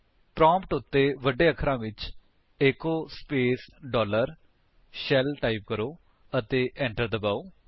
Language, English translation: Punjabi, Type at the prompt: echo space dollar SHELL in capital and press Enter